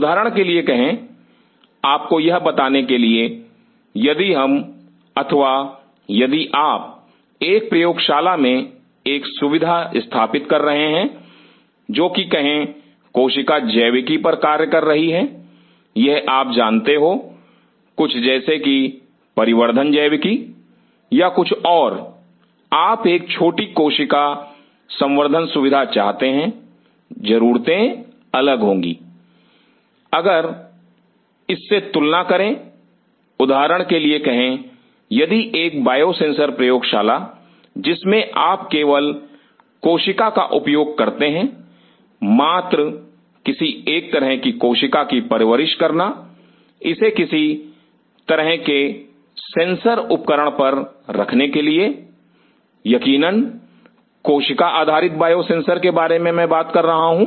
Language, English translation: Hindi, Say for example, to tell you this if we or if you are setting up a facility in a lab which is working on say cell biology or you know some like the velum biology or something and you want to have a small cell culture facility, the requirements will be different as compared to say for example, if a biosensor lab you just use the cell as just to maintain some kind of a cell to put it on some kind of sensor device cell based biosensors of course, I am talking about